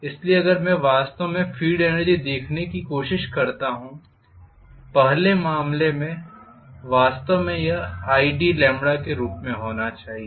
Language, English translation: Hindi, So if I try to look at actually the field energy, in the first case I should have actually this as id lambda this entire area